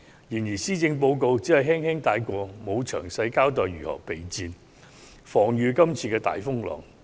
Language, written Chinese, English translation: Cantonese, 然而，施政報告只是輕輕帶過，沒有詳細交代當局如何備戰，抵禦這次的大風浪。, Nevertheless the Policy Address only glossed over this issue without giving a detailed account of how the Government will be prepared for it to withstand the storm